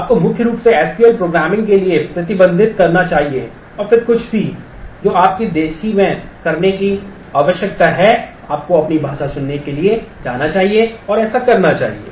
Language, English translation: Hindi, You should primarily restrict to SQL programming, and then anything that you need to do in the native, you should go to choose your language and do that